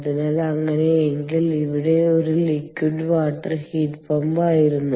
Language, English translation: Malayalam, so in that case it was a liquid water heat pump